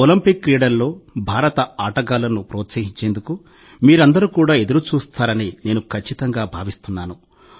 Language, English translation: Telugu, I am sure that all of you would also be waiting to cheer for the Indian sportspersons in these Olympic Games